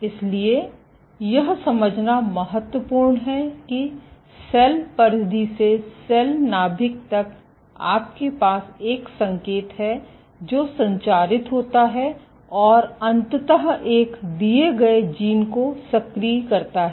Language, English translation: Hindi, So, it is important to understand how from a cell periphery to the cell nucleus you have a signal, which is transmitted and eventually activates a given gene